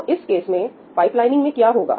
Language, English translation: Hindi, So, what will happen to pipelining in this case